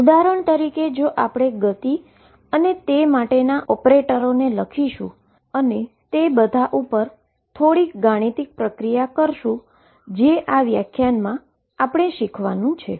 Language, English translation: Gujarati, For example, we will write the operators for the momentum and so on, and all that requires a little bit of mathematical preparation which I am going to do in this lecture